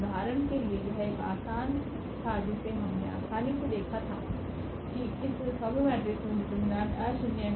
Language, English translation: Hindi, For example, this was a easy we have easily seen that this submatrix has determinant nonzero